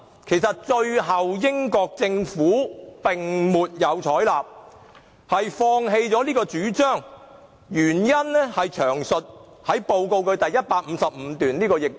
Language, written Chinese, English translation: Cantonese, 其實，英國政府最終未有採納有關建議，原因詳述於有關報告第155段。, In fact the Government of the United Kingdom had not adopted the proposal in the end . The reasons are set out in detail in paragraph 155 of the relevant report